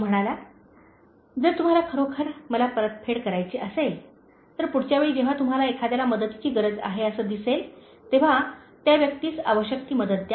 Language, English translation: Marathi, He said: “If you really want to pay me back, the next time you see someone, who needs help, give that person the needed assistance